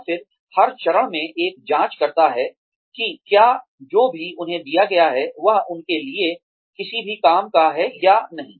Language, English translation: Hindi, And then, at every stage, one checks, whether, whatever has been given to them, is of any use, to them or not